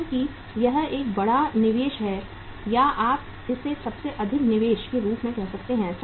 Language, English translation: Hindi, Because it is a big investment or you can call it as most illiquid investment